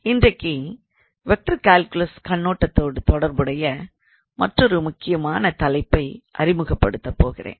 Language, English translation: Tamil, Now today I am going to introduce another important topic which is quite relevant from vector calculus point of view